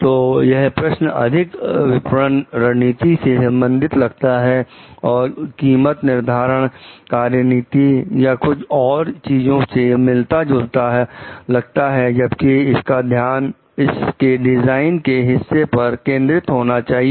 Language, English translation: Hindi, So, it could be more of questions related to strategy of marketing and pricing strategy etcetera, rather than the focus being only on the design part